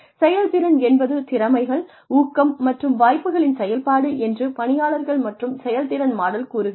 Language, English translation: Tamil, People and performance model says that, performance is a functional, is a function of abilities, motivation, and opportunities